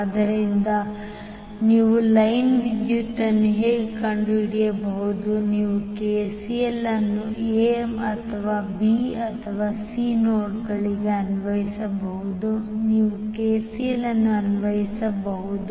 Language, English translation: Kannada, So how you can find out the line current, you can simply apply KCL at the nodes either A or B or C you can apply the KCL